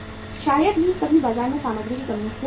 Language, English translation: Hindi, Sometime there can be shortage of the material in the market